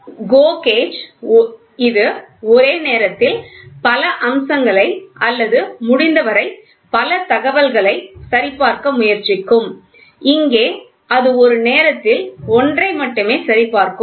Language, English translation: Tamil, GO gauge it will try to check simultaneously as many features or as many information as possible, here it will check only one at a time